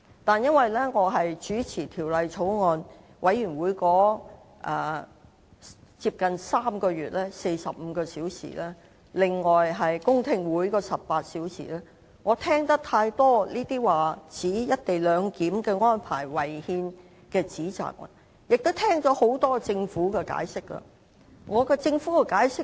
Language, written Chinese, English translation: Cantonese, 不過，由於我是有關法案委員會的主席，在近3個月時間內曾主持約45個小時的會議，加上18個小時的公聽會，我聽了很多指摘"一地兩檢"安排違憲的發言，亦聽了政府的多番解釋。, However as Chairman of the relevant Bills Committee I have heard many allegations of the unconstitutionality of the co - location arrangement on the one hand and the repeated explanation from the Government on the other during the around 45 hours of meeting and the 18 - hour hearing of the Bills Committee in recent three months